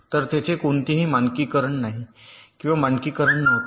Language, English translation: Marathi, so there is no standardization or there was no standardization